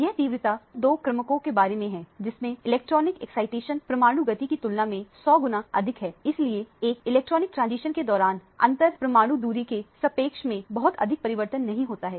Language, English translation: Hindi, This is about two orders of magnitude faster, the electronic excitation is two orders of magnitude faster than the 100 times faster than the nuclear motion therefore, during an electronic transition there is not much change in the relative positions of the inter atomic distances